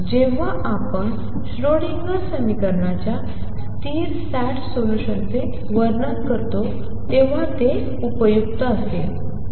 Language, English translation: Marathi, It should be useful when we describe stationary sates solutions of the Schrodinger equation